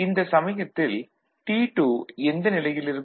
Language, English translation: Tamil, What happens at the time to T2